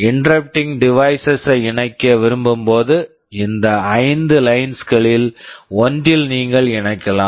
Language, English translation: Tamil, When you wanted to connect an interrupting device you had to connect to one of these five lines